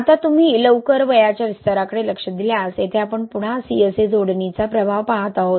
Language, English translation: Marathi, Now if you look into early age expansion, here again we are seeing the effect of CSA addition, right